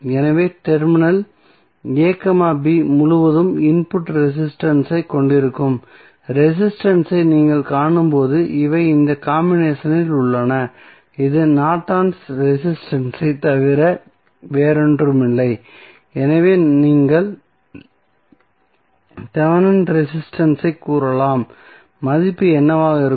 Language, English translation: Tamil, So, these are in this combination when you see resistance that is input resistance across terminal a, b that would be nothing but the Norton's resistance or you can say Thevenin resistance what would be the value